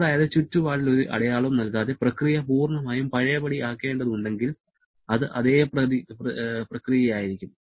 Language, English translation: Malayalam, That is if the process has to be completely reversed without giving any mark on the surrounding, then it would rather same process